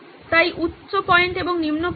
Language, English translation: Bengali, So high point and the low point